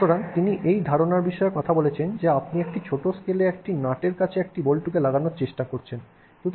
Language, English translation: Bengali, So, he talks about this idea that you know you are trying to fix something, you are fixing a bolt to a nut in a small scale